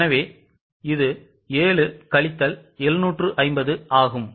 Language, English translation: Tamil, So, it is 7 minus 750